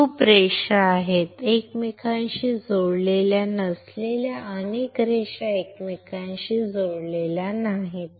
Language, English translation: Marathi, There are lot of lines, lot of lines not connected with each other not connected with each other